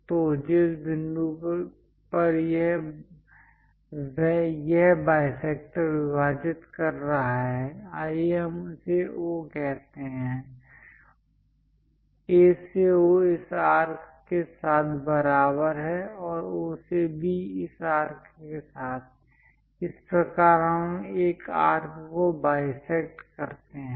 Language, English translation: Hindi, So, the point where this bisector dividing; let us call O, A to O along this arc equal to O to B along this arc; this is the way we construct bisecting an arc